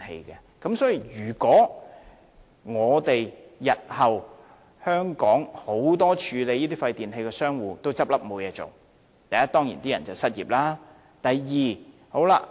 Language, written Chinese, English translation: Cantonese, 日後，如果香港眾多處理廢電器的商戶也倒閉，第一個問題是從業員會失業。, In future if the many e - waste recyclers in Hong Kong have closed down the immediate result will be the unemployment of practitioners